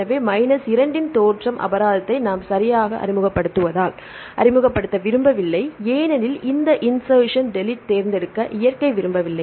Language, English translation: Tamil, So, if we take the origination penalty of minus 2 because we are introducing right, we do not want to introduce because nature does not want to select these insertion deletions